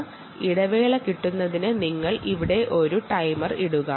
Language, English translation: Malayalam, inter interval beat is essentially: you start a timer here, you stop the timer here